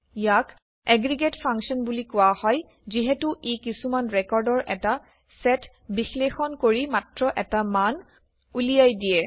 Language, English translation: Assamese, This is called an aggregate function, as it returns just one value by evaluating a set of records